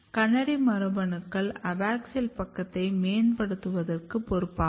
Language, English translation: Tamil, So, KANADI genes are basically responsible for promoting abaxial side